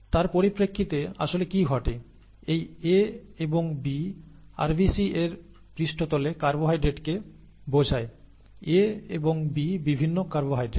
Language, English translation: Bengali, In terms of what actually happens, this A and B refer to carbohydrates on the surface of RBCs, A and B are different carbohydrates